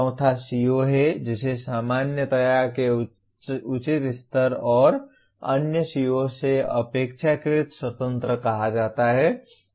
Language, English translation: Hindi, The fourth one is the CO stated at the proper level of generality and relatively independent of other COs